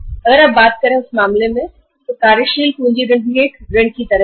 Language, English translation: Hindi, If you talk about the working capital loan in that case it will be like a loan